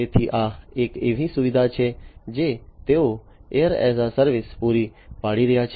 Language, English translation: Gujarati, So, this is basically a facility that they are providing air as a service